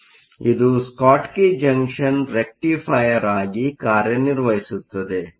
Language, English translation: Kannada, So, a Schottky Junction will act as a Rectifier